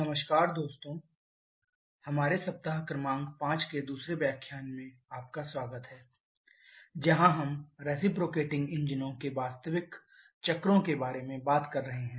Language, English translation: Hindi, Hello friends welcome back to the second lecture of our week number 5 where we are talking about the real cycles for reciprocating engines